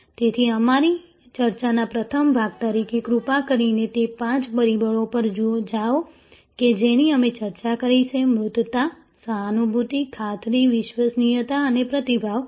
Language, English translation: Gujarati, So, as the first part of our discussion, please go over those five factors that we have discussed, tangibility, empathy, assurance, reliability and responsiveness